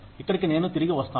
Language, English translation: Telugu, This is where, I will come back to